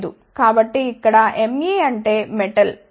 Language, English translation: Telugu, So, here ME stands for metal ok